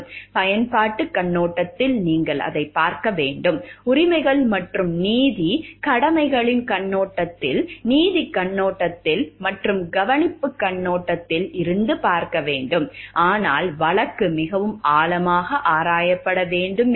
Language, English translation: Tamil, From the utilitarian perspective you need to look at it, from the rights and justice, duties perspective you have to look it, from the justice perspective also and the care perspective, but if the case needs to be like delved into much deeper